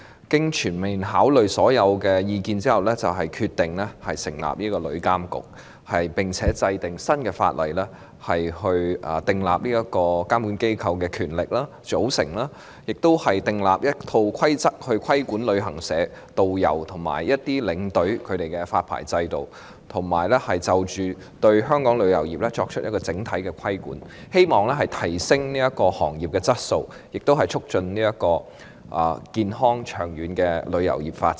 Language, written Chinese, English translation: Cantonese, 經全面考慮所有意見後，政府決定成立旅監局，並且制定新法例，規定監管機構的權力、組成，亦訂立了一套規則來規管旅行社、導遊及領隊的發牌制度，以及對香港旅遊業作出整體規管，希望提升行業的質素、促進旅遊業的健康及長遠發展。, Upon comprehensive consideration of all the views the Government decided to establish TIA and formulate a new legislation to provide for the powers and composition of the regulatory body and formulate a set of rules to regulate the licensing regime for travel agents tourist guides and tour escorts as well as to regulate Hong Kongs travel industry in a holistic manner with a view to enhancing the quality of the trade and promoting healthy and long - term development of the industry